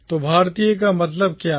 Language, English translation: Hindi, So, what does Indian mean